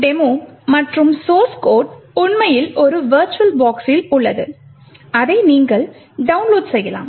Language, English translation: Tamil, This demo and the source code is actually present in a virtualbox which you can actually download